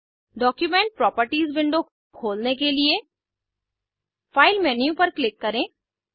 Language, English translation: Hindi, To open Document Properties window, click on File menu